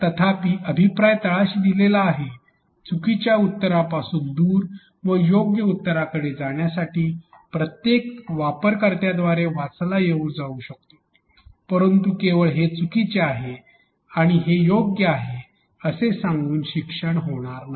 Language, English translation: Marathi, However the feedback is elaborated at the bottom which can be read by every user in order to know to move away from the wrong answer to the right answer, but just giving that this is wrong and this is right will not happen or will not convert into learning